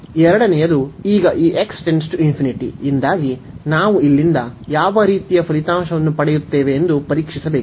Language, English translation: Kannada, The second one now because of this x infinity, we have to test that what type of result we get from here